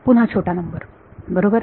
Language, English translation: Marathi, Again small numbers right